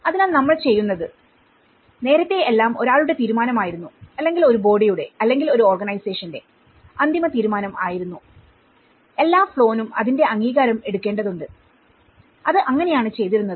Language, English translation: Malayalam, So that what we do is earlier it was all one man’s decision and one body’s decision or one organization’s final decision and all the flow has to take an approval of that so that is how it used to do